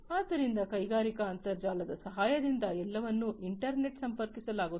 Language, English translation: Kannada, So, with the help of the industrial internet everything will be connected to the internet